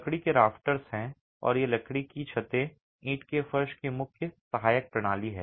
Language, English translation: Hindi, There are timber rafters and these timber rafters are the main supporting system of the brick floor